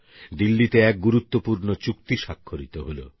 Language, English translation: Bengali, A significant agreement was signed in Delhi